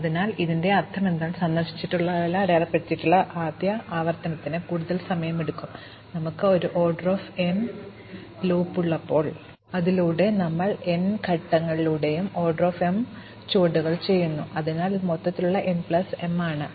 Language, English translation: Malayalam, So, what this means is that, the first iteration of visiting the marking everything visited takes time O m, when we have a O n loop, across which we do O m steps totally across the n steps, so it is overall n plus m